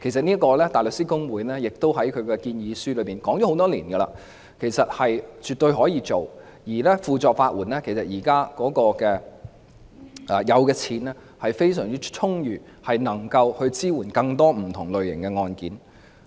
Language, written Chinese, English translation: Cantonese, 香港大律師公會多年來在建議書中指出，這是絕對可行的，而法律援助署現時財政亦非常充裕，能夠支援處理更多不同類型的案件。, The Hong Kong Bar Association has for many years pointed out in their submissions that this proposal is definitely feasible . Besides the Legal Aid Department has a very strong financial position which can support the handling of more types of cases